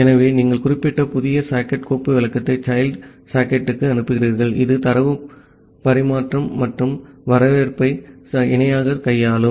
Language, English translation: Tamil, So, you pass that particular new socket file descriptor to the child socket, which will handle data transmission and reception in parallel